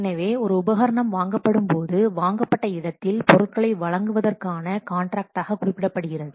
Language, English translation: Tamil, So, here an equipment is purchased, it is referred to as a contract for the supply of course